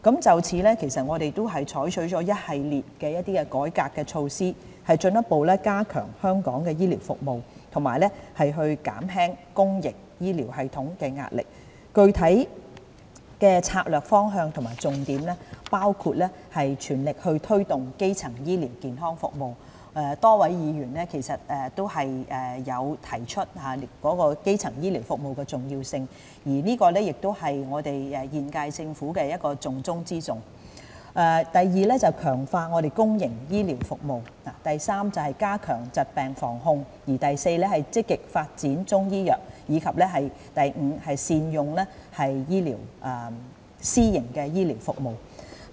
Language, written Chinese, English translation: Cantonese, 就此，我們採取了一系列的改革措施，進一步加強香港醫療服務，以及減輕公營醫療系統壓力，具體的策略方向和重點包括： a 全力推動基層醫療健康服務，多位議員都提出基層醫療服務的重要性，而這亦是現屆政府的重中之重； b 強化公營醫療服務； c 加強疾病防控； d 積極發展中醫藥；及 e 善用私營醫療服務。, In this connection we have adopted a series of reform measures to further strengthen the medical services of Hong Kong and relieve pressure on the public healthcare system . The specific strategic directions and key strategies include a Pursuing vigorously the promotion of primary healthcare services the importance of which has already been highlighted by a number of Members and the issue also tops the current - term Governments agenda; b Strengthening public healthcare services; c Enhancing preventive and control measures of diseases; d Developing Chinese medicine actively; and e Ensuring optimum use of private medical services